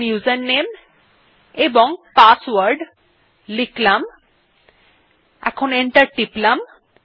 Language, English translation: Bengali, Now let us type the username and password and press enter